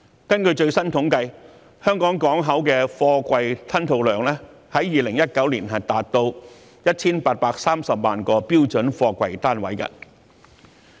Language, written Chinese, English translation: Cantonese, 根據最新統計，香港港口的貨櫃吞吐量，在2019年達到 1,830 萬個標準貨櫃單位。, According to statistics the throughput of Hong Kongs container port has reached 18.3 million twenty - foot equivalent units in 2019